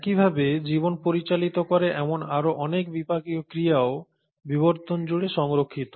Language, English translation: Bengali, Similarly, a lot of other metabolic reactions which govern life are also conserved across evolution